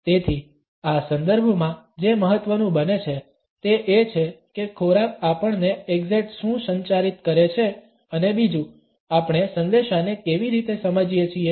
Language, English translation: Gujarati, So, what becomes important in this context is what exactly does food communicate to us and secondly, how do we understand the communicated message